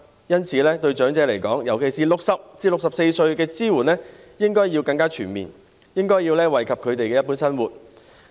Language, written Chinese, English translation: Cantonese, 因此，對長者，尤其是對60歲至64歲長者的支援，應該更全面，以惠及他們的一般生活。, For this reason the support for elderly people in particular for elderly people aged between 60 and 64 should be more comprehensive so as to benefit their living in general